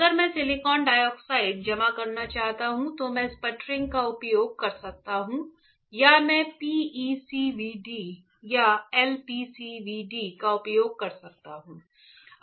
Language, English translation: Hindi, If I want to deposit silicon dioxide, I can use sputtering or I can use PECVD or LPCVD